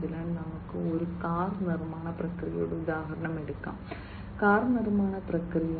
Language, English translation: Malayalam, So, let us take the example of a car manufacturing process; car manufacturing process